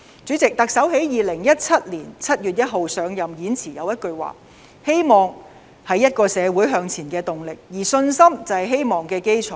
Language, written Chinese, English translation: Cantonese, 主席，特首在2017年7月1日上任時的演辭有一句話："希望是一個社會向前的動力，而信心就是希望的基礎"。, President at the inaugural speech on 1 July 2017 the Chief Executive said hope propels a society forward and confidence is the foundation of hope